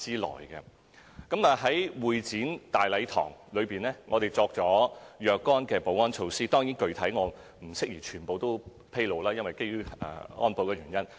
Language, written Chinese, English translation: Cantonese, 我們亦在會展大禮堂設置若干保安措施，當然，基於保安原因，我不宜全面披露具體情況。, Certain security measures will be applied in the Grand Hall but of course it is not appropriate to disclose all the arrangements for security reasons